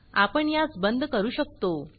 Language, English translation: Marathi, So we can close this